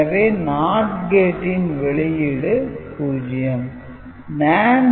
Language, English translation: Tamil, So, the NOT gate output is 0